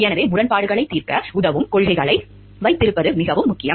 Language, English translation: Tamil, So, but it is very important to have policies which will help us in conflict resolution